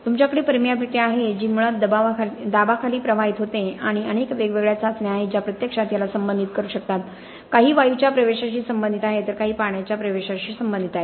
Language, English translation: Marathi, You have permeation which is basically flow under pressure and there are several different tests that can actually address this, some are related to gas permeation, some are related to water permeation